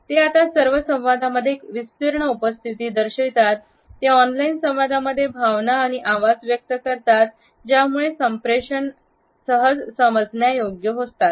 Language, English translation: Marathi, They now have a pervasive presence, they convey emotions and tone of voice in online communication and are easily understandable